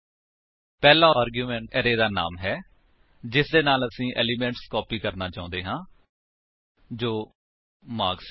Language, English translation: Punjabi, The first argument is the name of the array from which you want to copy the elements.i.e marks